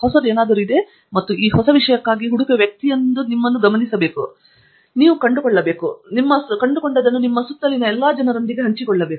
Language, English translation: Kannada, There is something new and you are going to be the person who searches for this new stuff, finds it and then shares it with all the people around you